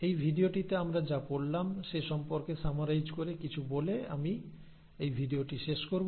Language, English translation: Bengali, So let me just wind up this video by talking about and summarising what we studied in this video